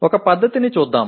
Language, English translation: Telugu, Let us look at one method